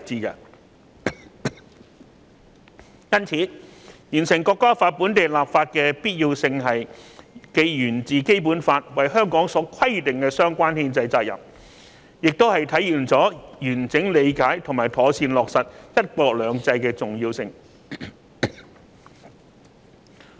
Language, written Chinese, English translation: Cantonese, 因此，完成《條例草案》本地立法的必要性既源自《基本法》為香港所規定的相關憲制責任，亦體現了完整理解和妥善落實"一國兩制"的重要性。, Thus enactment of the Bill as a piece of local legislation is necessary because of the constitutional responsibility required of Hong Kong and it shows the importance of comprehensively understanding and properly implementing one country two systems